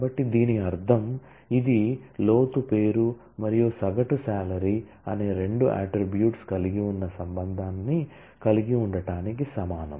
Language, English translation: Telugu, So which means that; this is equivalent to having a relation which has two attributes depth name and avg salary